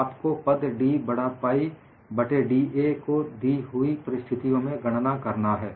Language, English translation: Hindi, So, you will have to calculate the term d capital by da for a given situation